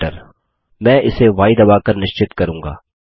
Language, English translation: Hindi, I will confirm this by entering y